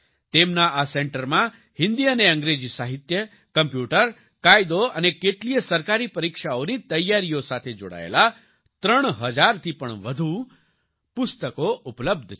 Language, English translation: Gujarati, , His centre has more than 3000 books related to Hindi and English literature, computer, law and preparing for many government exams